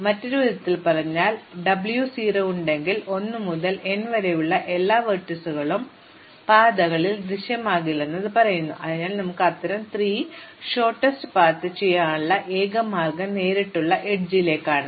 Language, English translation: Malayalam, So, in other words, if I have W 0, then it says all of the vertices 1 to n cannot appear on the paths, so the only way that we can have such a shortest paths is to the direct edge